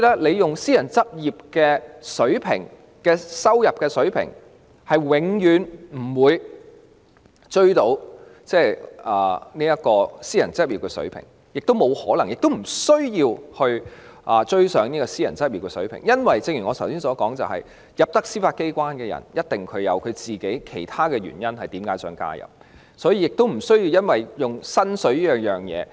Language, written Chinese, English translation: Cantonese, 若以私人執業的收入水平作標準，法官的薪酬是永遠也追不上的，亦沒有可能及沒有需要追上這個水平，因為正如我剛才所說，加入司法機關的人一定有自己的其他原因，故此亦不需要以薪酬作為誘因。, The salaries of Judges will never catch up with the income level of private practitioners if the latter is adopted as a benchmark while it is also impossible and unnecessary to catch up with such a level . As I said just now those who join the Judiciary must have their own reasons so there is no need to use salaries as an incentive